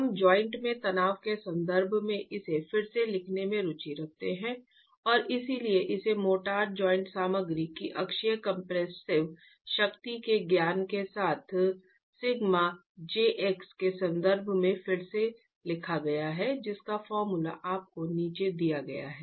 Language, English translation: Hindi, We are interested in rewriting this in terms of the stress in the joint and therefore it's just rewritten in terms of sigma j x with the knowledge of the uniaxial compressive strength of the motor joint material itself